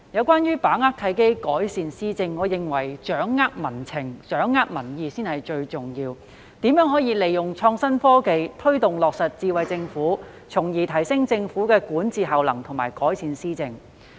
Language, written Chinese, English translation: Cantonese, 關於把握契機，改善施政，我認為政府要掌握民情民意，才是最重要的，並要思考如何利用創新科技，推動落實"智慧政府"，從而提升政府的管治效能和改善施政。, Speaking of seizing the opportunities to improve governance I think the Governments ability to grasp public sentiments and opinions is the most important . Besides it should conceive ways to apply innovative technology to take forward the implementation of Smart Government with a view to enhancing the governance efficiency of the Government and improve policy implementation